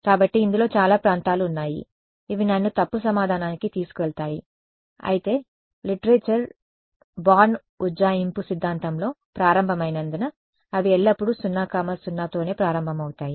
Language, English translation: Telugu, So, there are many regions in this which will take me to the wrong answer, but since the literature started by assuming started with the theory of born approximation they always started with 0 0